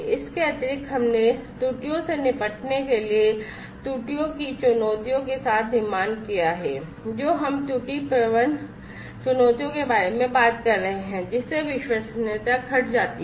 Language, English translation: Hindi, So, additionally, we have built with the challenges of errors dealing with errors we are talking about error prone challenges, which decreases the reliability